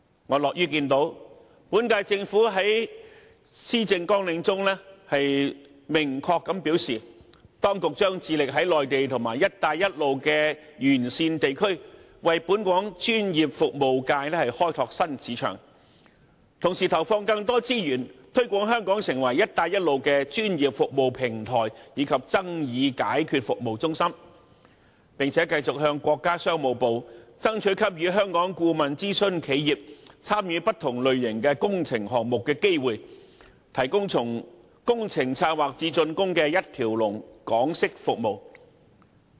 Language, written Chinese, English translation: Cantonese, 我樂於見到，本屆政府在其施政綱領中明確表示，當局將致力在內地及"一帶一路"沿線地區為本港專業服務業開拓新市場，同時投放更多資源推廣香港成為"一帶一路"的專業服務平台及爭議解決服務中心，並繼續向國家商務部爭取給予香港顧問諮詢企業參與不同類型工程項目的機會，提供從工程策劃至竣工的一條龍港式服務。, I am pleased to see that the current - term Government has clearly stated in the Policy Agenda that the authorities will develop new markets for our professional services by extending our presence on the Mainland and along the Belt and Road . It will also allocate more resources to promote Hong Kong as a platform for providing professional services and a centre for dispute resolution services for the Belt and Road countries . In addition it will continue to pursue with the Ministry of Commerce for provision of further opportunities for Hong Kongs consultant companies to take part in more and different types of construction projects and expansion of their scope of work by allowing them to perform full - range Hong Kong - style services from project planning to completion